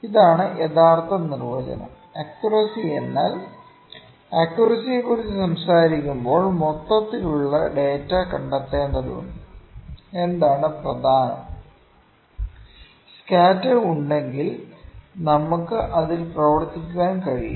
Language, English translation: Malayalam, So, this is the actual definition accuracy means when we talk about accuracy we need to trace the overall data what is the main; if the scatter is there we can work on that